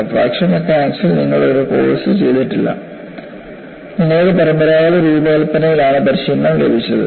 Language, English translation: Malayalam, You have not done a course in fracture mechanics; you are trained in conventional design